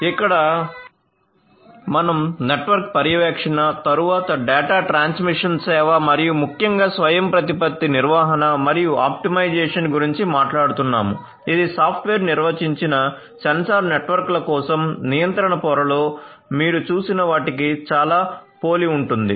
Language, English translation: Telugu, So, here we are talking about again network monitoring, then data transmission service and management and optimization particularly autonomous management and optimization, it is very similar to the ones that you had seen in the control layer for software defined sensor networks